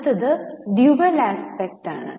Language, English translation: Malayalam, Next is dual aspect